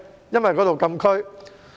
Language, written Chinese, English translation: Cantonese, 因為該處是禁區。, Because that place is a closed area